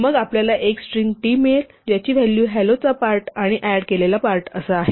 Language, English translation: Marathi, Then we get a string t, whose value is the part that was in hello plus the part that was added